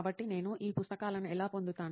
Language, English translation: Telugu, So this is how I get those things